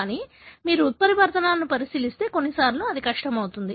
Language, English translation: Telugu, But, if you look into mutations, at times it becomes difficult